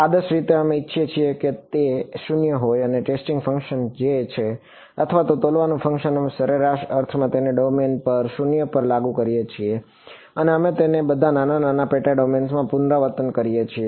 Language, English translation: Gujarati, Ideally, we want it to be 0 and the testing function which is or the weighing function we are in an average sense enforcing it to 0 over the domain and we repeating this over all of the little little sub domains ok